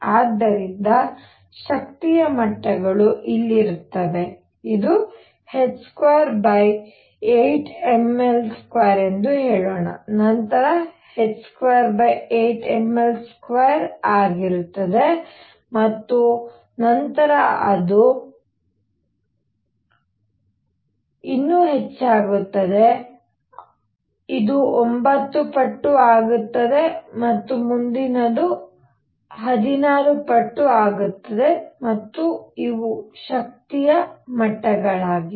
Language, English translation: Kannada, So, the energy levels would be here this is let us say h square over 8 m L square then it increases becomes four times h square over eight ml square and then it increases even more this becomes 9 times and next would be 16 times and so on and these are the energy levels